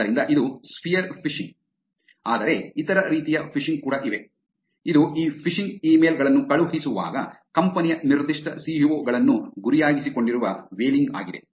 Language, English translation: Kannada, So that is about sphere phishing, but then there are other types of phishing also, which is whaling where the specific CEO’s of a company are targeted while sending out these phishing emails